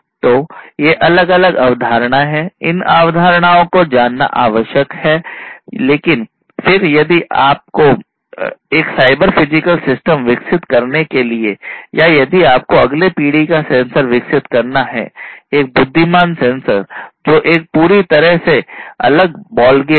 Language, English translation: Hindi, So, these are different concepts knowing these concepts is required, but then if you have to develop a cyber physical system yourself or if you have to develop a next generation sensor, an intelligent sensor, that is a complete completely different ballgame